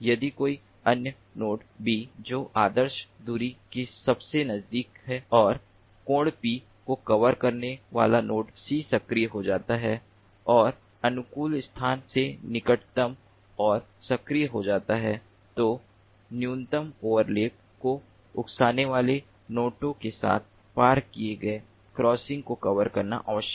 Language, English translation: Hindi, if another node, b, which is closest to the ideal distance and angle, becomes active, a node c, covering p and closest to the optimal location, becomes active, and repeatedly it is required to cover the crossings, uncovered crossings, with notes that incur minimum overlap